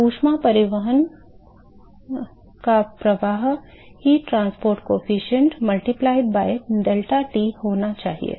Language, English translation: Hindi, So, that should be heat transport coefficient multiplied by deltaT fine